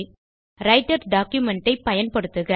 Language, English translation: Tamil, Use the Writer document